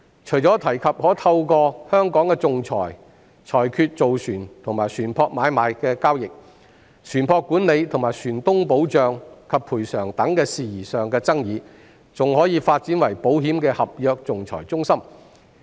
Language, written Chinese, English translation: Cantonese, 除了可透過香港的仲裁裁決造船和船舶買賣的交易、船舶管理和船東保障及賠償等事宜上的爭議，還可以發展為保險的合約仲裁中心。, In addition to arbitrating disputes on shipbuilding and ship sales ship management shipowner protection and compensation etc Hong Kong can also develop into an insurance contract arbitration centre